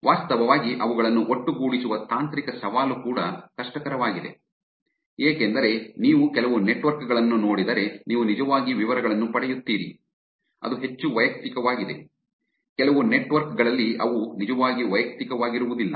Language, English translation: Kannada, A technical challenge for actually putting them together is also harder, because if you look at some networks you get actually details which are something more personal